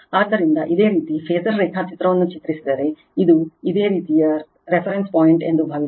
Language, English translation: Kannada, So, if you draw the phasor diagram right, suppose this is your reference point